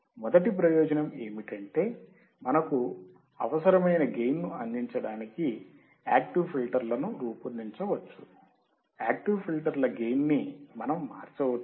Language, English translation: Telugu, The first advantage is that active filters can be designed to provide require gain, we can change the gain in active filters